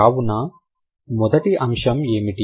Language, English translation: Telugu, So, what is the first one